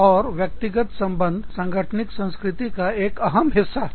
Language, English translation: Hindi, And, personal relationships, are a big part of an organization's culture